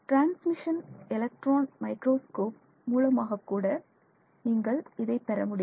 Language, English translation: Tamil, You could also get this from transmission electron microscopy